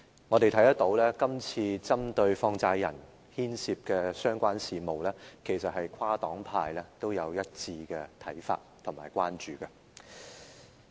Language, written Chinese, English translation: Cantonese, 我們看到在針對放債人牽涉的相關事務中，跨黨派均有一致的看法及關注。, We note that on the issues concerning money lenders all political parties and groupings have consensus views and concerns